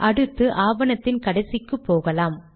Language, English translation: Tamil, Then we go to the end of the document here